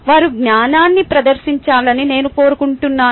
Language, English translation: Telugu, i want them to demonstrate the knowledge